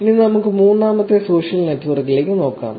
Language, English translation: Malayalam, Now, let us look at the third social network